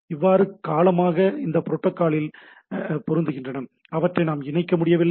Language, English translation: Tamil, So long they are fitting into the protocol we are not able to connect them